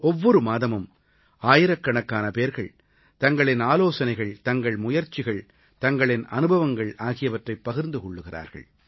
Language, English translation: Tamil, Every month, thousands of people share their suggestions, their efforts, and their experiences thereby